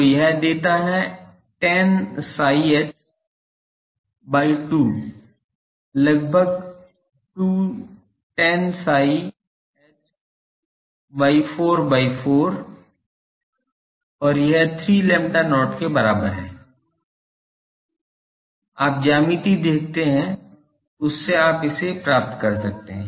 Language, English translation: Hindi, So, that gives tan psi h by 2 is almost 2 tan psi h 4 by 4 and this is equal to 3 lambda not, you see the geometry from that you can derive it